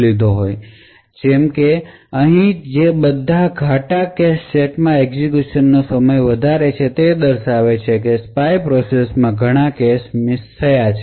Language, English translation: Gujarati, For example all the darker cache sets like these over here have a higher execution time indicating that the spy process has incurred a lot of cache misses